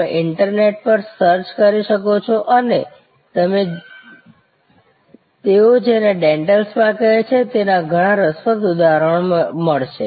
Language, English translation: Gujarati, You can search on the internet and you will find many interesting instances of what they call a dental spa